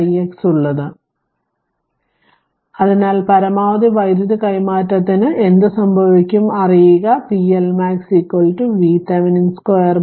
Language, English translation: Malayalam, So, in that case what will happen for maximum power transfer you know p L max is equal to V Thevenin square by 4 R Thevenin right